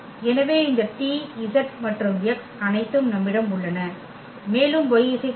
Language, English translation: Tamil, So, we have this t, z and x all and also y here with mu 2